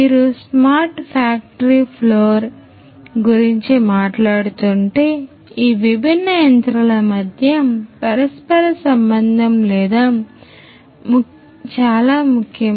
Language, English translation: Telugu, So, if you are talking about a smart factory floor the interconnection between all these different machines is very important